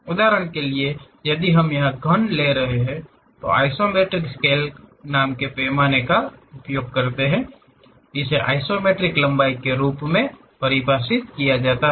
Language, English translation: Hindi, For example, if we are taking a cube here; we use a scale named isometric scale, this is defined as isometric length to true length